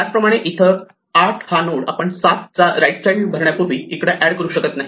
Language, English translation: Marathi, Similarly, here the node 8 could not have been added here before we filled in the right child of 7